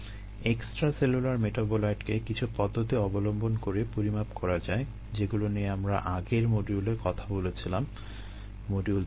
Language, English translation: Bengali, extracellular metabolite can be measured by some of the methods that we talked about in in earlier module, module three